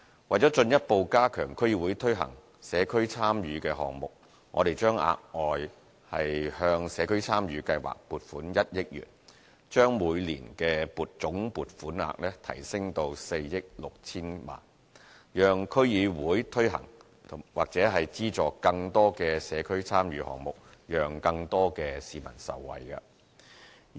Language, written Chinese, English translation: Cantonese, 為進一步加強區議會推行社區參與項目，我們將額外向社區參與計劃撥款1億元，把每年的總撥款額提升至4億 6,000 多萬元，讓區議會推行或資助更多社區參與項目，讓更多市民受惠。, To further enhance the implementation of community involvement projects by DCs we plan to provide an additional 100 million for the Community Involvement Programme and increase the total annual funding to some 460 million so as to enable DCs to implement or sponsor more community involvement projects and benefit more members of the public